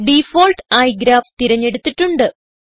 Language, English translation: Malayalam, By default, Graph is selected